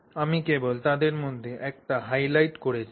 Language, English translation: Bengali, So, I have just highlighted one of them